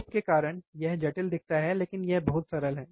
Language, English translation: Hindi, Because of because of probes, it looks complicated it is very simple